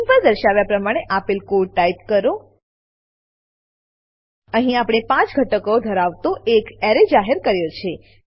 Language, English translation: Gujarati, Type the following piece of code, as shown on the screen Here we have declared amp defined an array which contains 5 elements